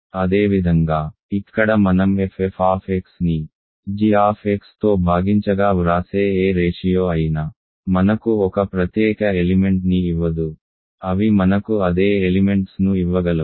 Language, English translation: Telugu, Similarly here any ratio I write f f X divided by g X will not give me a distinct element they could give me same elements